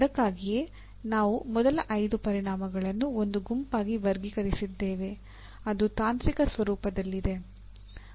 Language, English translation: Kannada, And that is why we grouped them as the first 5 into one group, technical in nature